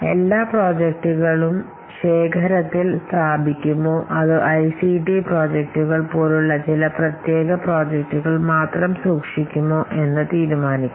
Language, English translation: Malayalam, So we must also decide whether to have all the projects in the repository or only a special category of projects like as ICT projects